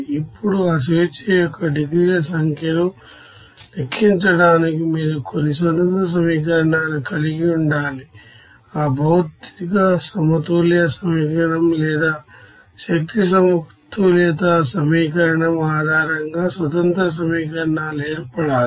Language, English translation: Telugu, Now to calculate that number of degrees of freedom you need to have some independent equations, that independent equations to be formed based on that material balance equation or energy balance equation